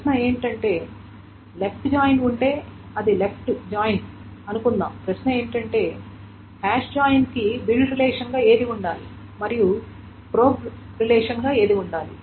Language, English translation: Telugu, The question then is if it is a left joint, suppose it's a left joint, the question is which one should be the build relation and which one should be the probe relation for the hash joint